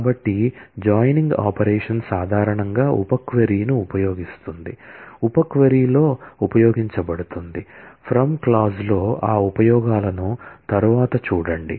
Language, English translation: Telugu, So, join operation typically uses sub query, is used in a sub query, in the from clause we will see those usages later